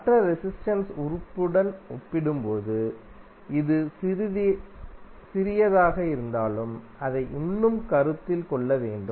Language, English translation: Tamil, Although it is small as compare to the other resistive element, but it is still need to be considered